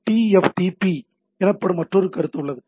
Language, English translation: Tamil, So, there is another concept called TFTP